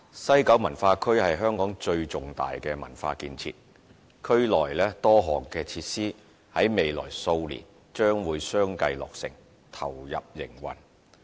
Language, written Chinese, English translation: Cantonese, 西九文化區是香港最重大的文化建設，區內多項設施在未來數年將相繼落成，投入營運。, The West Kowloon Cultural District WKCD is the most important cultural infrastructure in Hong Kong with many of its facilities to be completed successively for operation over the next few years